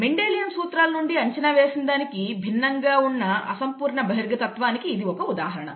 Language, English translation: Telugu, This is an example of incomplete dominance which is different from that predicted from Mendelian principles